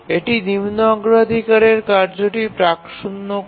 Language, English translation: Bengali, So it preempts the lower priority task